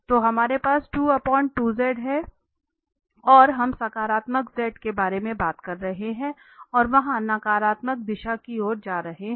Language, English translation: Hindi, So we have 2 over 2z and z we are talking about the positive and going for the negative direction there